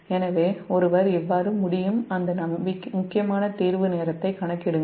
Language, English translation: Tamil, so this is how one can compute that critical clearing time